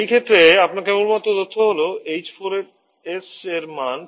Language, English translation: Bengali, The only information that you need in this case is the value of h4s